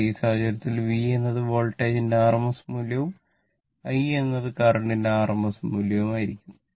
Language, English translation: Malayalam, But, in this case, V should be rms value of the voltage and I should be rms value of the current right